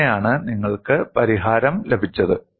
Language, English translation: Malayalam, That is how you have got a solution